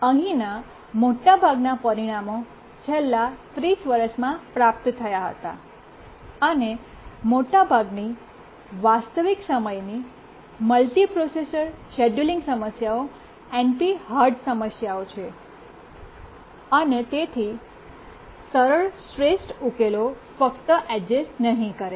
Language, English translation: Gujarati, Most of the results here have been obtained in the last 30 years and most of the real time multiprocessor scheduling problems are NP hard problems and therefore simple optimal solutions don't exist